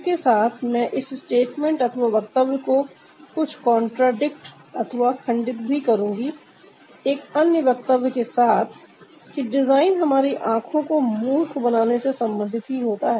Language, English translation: Hindi, with that, i'll also contradict this statement a little bit with another statement: that design is all about fooling our eyes